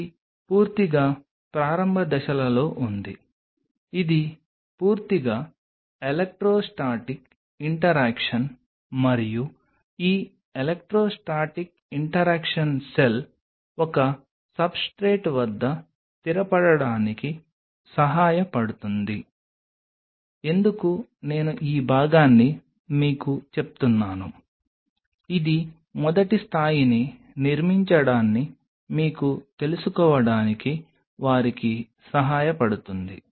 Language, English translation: Telugu, It is a purely in the initial phases, it is purely an electrostatic interaction and this electrostatic interaction helps the cell to settle down at a substrate why I am telling you this part it helps them to you know kind of build that first level of